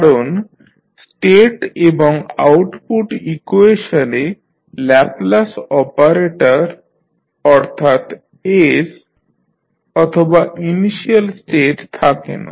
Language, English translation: Bengali, Because the state and output equations do not contain the Laplace operator that is s or the initial states